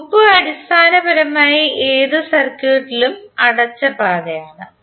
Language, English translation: Malayalam, In any closed path loop is basically a closed path in any circuit